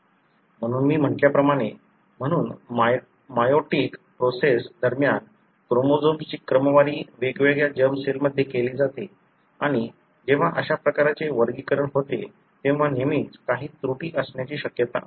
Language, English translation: Marathi, So as I said, so during the meiotic process, the chromosomes are sorted into into different germ cells and when such kind of sorting takes place there is always a possibility that there are some errors